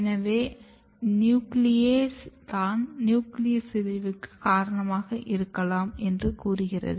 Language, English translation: Tamil, So, all this story tells that this putative nucleases might be responsible for nucleus degradation